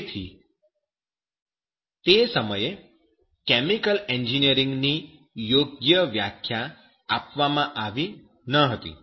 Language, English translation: Gujarati, So, chemical engineering was not defined properly at that time